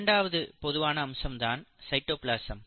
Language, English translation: Tamil, The second most common feature is the cytoplasm